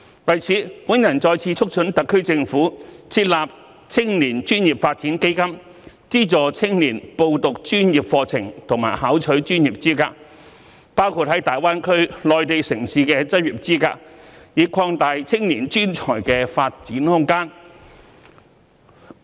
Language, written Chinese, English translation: Cantonese, 為此，我再次促請特區政府設立青年專業發展基金，資助青年報讀專業課程及考取專業資格，包括在大灣區內地城市的執業資格，以擴大青年專才的發展空間。, In this connection once again I urge the SAR Government to establish a young professional development fund to subsidize young people to enrol in professional courses and attain professional qualifications including the licence for practising in Greater Bay Area cities on the Mainland so as to expand the career prospects of young professional personnel